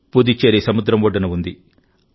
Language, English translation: Telugu, Puducherry is situated along the sea coast